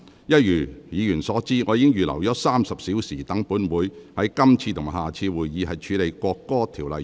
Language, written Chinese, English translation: Cantonese, 一如議員所知，我預留了約30小時，讓本會於今次及下次會議處理《國歌條例草案》。, As Members are aware I have reserved about 30 hours for the Council to deal with the National Anthem Bill at this meeting and the next